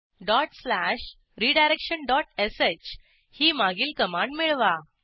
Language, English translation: Marathi, Type dot slash redirection dot sh Press Enter